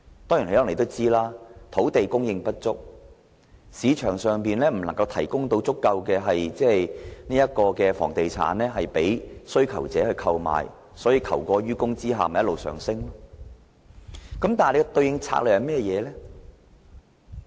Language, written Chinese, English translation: Cantonese, 可能大家也知道，土地供應不足、市場上不能提供足夠的房屋供需求者購買，在求過於供下樓價便一直上升。, As Members may also be aware insufficient land supply has rendered the market unable to provide adequate housing to meet the demand of the buyers the resulting excess demand has thus caused the property prices to spiral